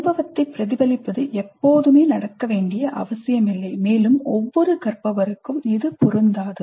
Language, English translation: Tamil, Reflecting on the experience need not necessarily happen always and need not be the case for every learner